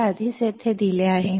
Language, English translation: Marathi, This is already given here